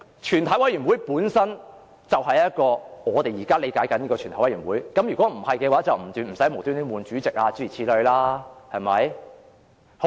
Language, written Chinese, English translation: Cantonese, 全體委員會本身便是我們現在理解的全體委員會，否則便無須更換主席，對嗎？, A committee of the whole Council is itself a committee of the whole Council as construed by us now; otherwise we do not have to elect another Member as the Chairman right?